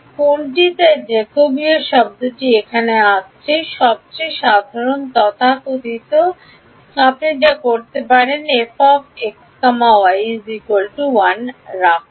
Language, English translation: Bengali, Which is so that Jacobian term is what will come in over here the simplest so called check you can do is put f of x of y equal to 1